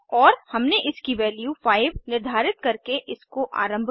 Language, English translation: Hindi, And we have initialized it by assigning value of 5